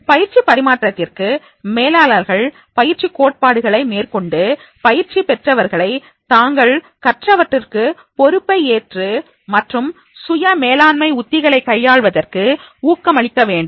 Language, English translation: Tamil, For transfer of training to occur, managers need to apply transfer of training theories and encouraging trainees to take responsibility for the learning and to engage in self management strategies